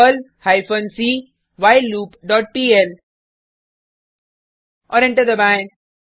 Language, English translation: Hindi, perl hyphen c doWhileLoop dot pl and press Enter